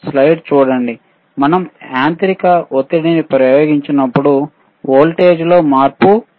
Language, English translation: Telugu, When it is when we apply a mechanical pressure there is a change in voltage,